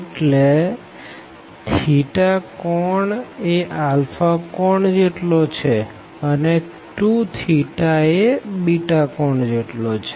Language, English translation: Gujarati, So, this is theta is equal to alpha angle, and 2 theta is equal to beta angle